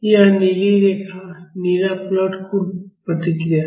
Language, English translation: Hindi, This blue line, the blue plot is the total response